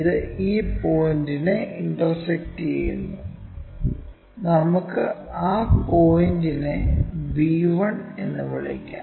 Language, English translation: Malayalam, It is intersecting this point; let us call that point as our b 1